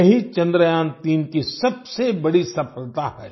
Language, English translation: Hindi, This is the biggest success of Chandrayaan3